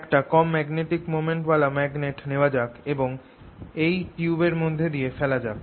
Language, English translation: Bengali, let's take this magnet with a small magnetic moment and put it through this tube channel